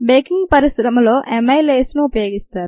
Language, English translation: Telugu, in the baking industry, amylases are used